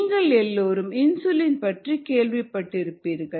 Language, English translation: Tamil, another stretch here: you all heard of insulin